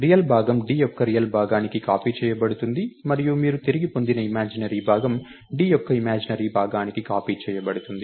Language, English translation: Telugu, The real part will get copied to d's real part, and the imaginary part that you return will get copied to the d's imaginary part